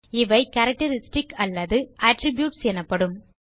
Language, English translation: Tamil, These are called characteristics or attributes